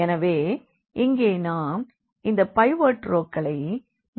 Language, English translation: Tamil, So, we have these so called the pivot rows